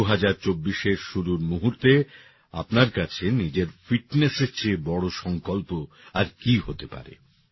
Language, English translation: Bengali, What could be a bigger resolve than your own fitness to start 2024